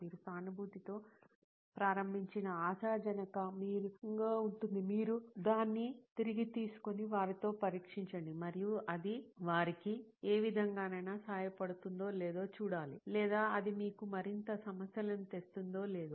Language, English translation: Telugu, Hopefully the one that you started out with empathising and then you take it back and test it with them and to see if it actually helps them in any way, or is it increasing you know more problems for them